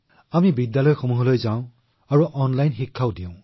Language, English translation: Assamese, We go to schools, we give online education